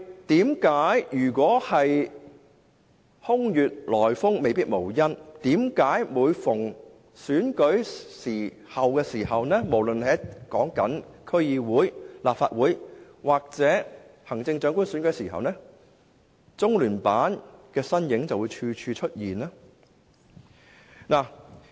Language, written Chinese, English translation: Cantonese, 但是，空穴來風未必無因，每逢選舉，無論是區議會、立法會或行政長官選舉，為何中聯辦的身影就會無處不在？, However the rumours may not necessarily be groundless . Whenever elections are held be it the election of the District Council the Legislative Council and the Chief Executive how come LOCPG officials frequently appear in public? . LOCPG is not the only Central Governments office in Hong Kong